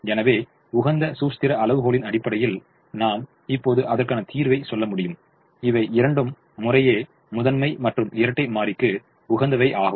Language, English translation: Tamil, therefore, based on the optimality criterion theorem, i can now say that both these are optimum to primal and dual respectively